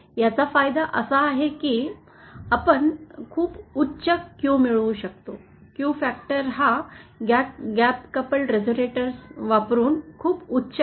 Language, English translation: Marathi, The advantage of this is that we can get very high Qs, the Q factor that can be obtained is very high using this gap coupled resonator